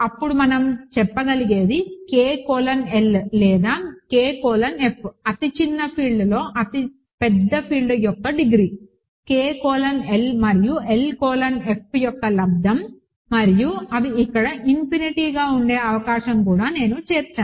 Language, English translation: Telugu, Then what we can say is K colon L or K colon F, the degree of the largest field over the smallest field is the product K colon L and L colon F, and I am also including the possibility that they are infinite here